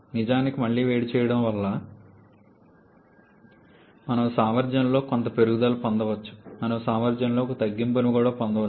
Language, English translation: Telugu, In fact, because of reheating we may get some increase in the efficiency, we may get some reduction in the efficiency as well